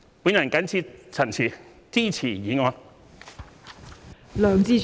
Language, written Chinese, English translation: Cantonese, 我謹此陳辭，支持議案。, With these remarks I support the motion